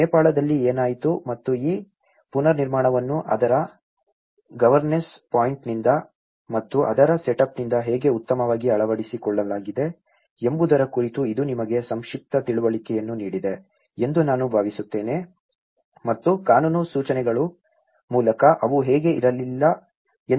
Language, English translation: Kannada, I think, this is given you a very brief understanding on what happened in the Nepal and how this build back better has been adopted both from a governess point of it and from the setup of it and you know by the legal instructions how they were not adequate to fulfill, so what are the challenges they are facing